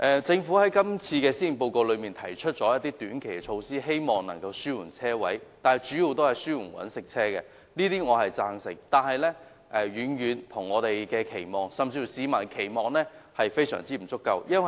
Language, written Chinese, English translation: Cantonese, 政府在今次的施政報告中提出一些短期措施，希望能夠紓緩車位的短缺，但紓緩的主要是商用車輛，這些措施我均贊同，但遠遠未達我們甚至市民的期望，措施非常不足夠。, The Government has rolled out short - term measures in the Policy Address to alleviate the shortage of parking spaces but the measures are mainly for commercial vehicles . I support all these measures but they are inadequate and far below our and also the publics expectation